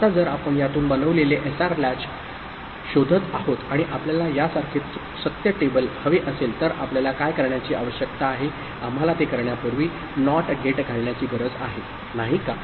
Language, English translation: Marathi, Now if we are looking for a SR latch made out of this and we want a truth table like this so what we need to do; we need to put a NOT gate before it, isn’t it